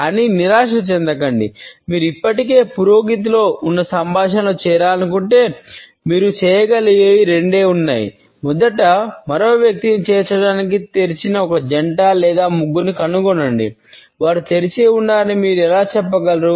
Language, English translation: Telugu, But do not despair; if you want to join a conversation already in progress there are two things you can do; first find a twosome or threesome that looks open to including another person, how can you tell they are open